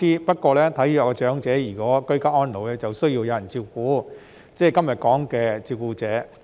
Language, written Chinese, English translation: Cantonese, 不過，如果體弱的長者居家安老就需要有人照顧，即是今天討論的照顧者。, However frail elderly persons who age at home need to be looked after by carers who are the subject of our discussion today